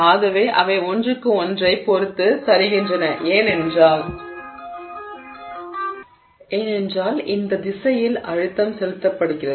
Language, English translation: Tamil, So, this is how they have slid with respect to each other and this is because the stress is being applied in this direction